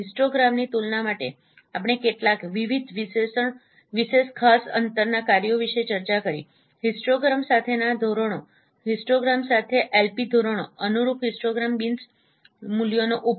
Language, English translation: Gujarati, For comparing histograms we discussed about different some of the spatial distance functions other than using the norms LP norms with the histogram correspondingly histogram beans values